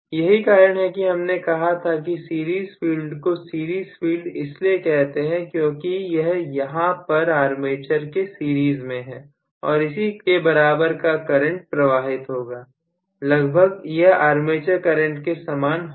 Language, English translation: Hindi, That is why we said generally you can say in general the series field is called the series field because it is in series with the armature and it is going to carry the same current, roughly the same current as that of the armature current